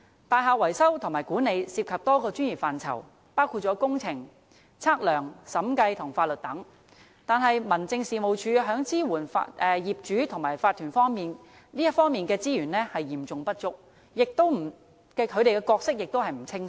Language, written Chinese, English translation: Cantonese, 大廈維修和管理涉及多個專業範疇，包括工程、測量、審計和法律等，但民政事務總署在支援業主和法團方面的資源嚴重不足，其角色亦不清晰。, Building maintenance and management involves a number of professional areas including engineering surveying auditing legal and so on . But resources available to the Home Affairs Department for providing support to property owners and owners associations are severely inadequate and the role of the Department ill - defined